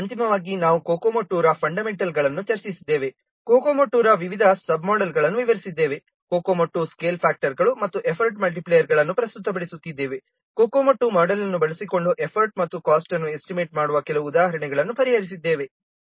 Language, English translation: Kannada, So finally we have discussed the fundamentals of Kokomo 2, explained the various sub models of Kokomo 2, presented the Kokomo 2 scale factors and effort multipliers, solved some examples on estimating import and cost using Kokomo 2 model